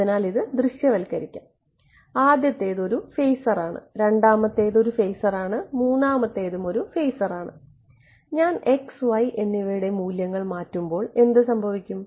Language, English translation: Malayalam, So, visualize this right the first is a phasor, second is a phasor, third is a phasor right, as I change the values of x and y what will happen